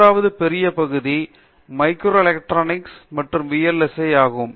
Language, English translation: Tamil, Then the third one, third major area of Electrical Engineering is micro electronics and VLSI